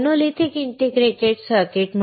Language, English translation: Marathi, What is a monolithic integrated circuit